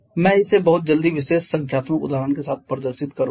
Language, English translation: Hindi, I will demonstrate that with this particular numerical example very quickly